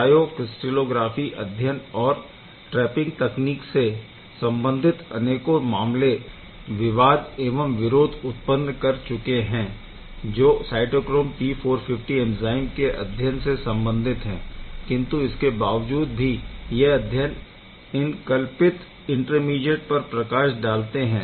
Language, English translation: Hindi, There are many issues, controversies, caveats of these cryo crystallographic studies and the trapping technique that has been used for the cytochrome P450 intermediate studies, but nonetheless still it can say light about the putative intermediates